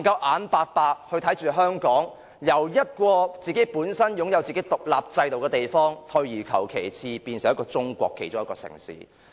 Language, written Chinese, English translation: Cantonese, 我們不可以看着香港由一個本來擁有獨立制度的地方，退化成中國其中一個城市。, We cannot let Hong Kong go backward from a place which has its own independent system to one of the ordinary cities in China